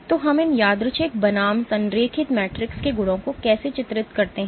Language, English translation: Hindi, So, how do we characterize the properties of these random versus align matrices